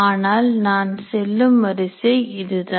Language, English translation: Tamil, But that is a sequence in which I go